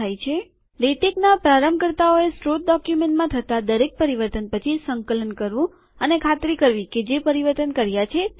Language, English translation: Gujarati, The beginners of latex should compile after every few changes to the source document and make sure that what they have entered is correct